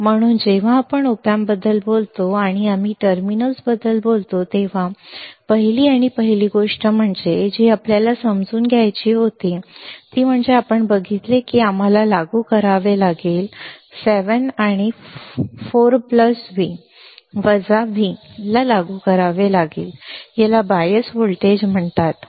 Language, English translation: Marathi, So, when we talk about the op amp, and we talked about the terminals then first and first thing that we had to understand is you see we had to apply we have to apply 7 and 4 plus V, minus V this are called these are called bias voltages these are called bias voltages all right